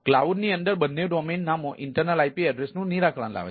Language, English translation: Gujarati, within the cloud, both the domain names resolve the internal ip address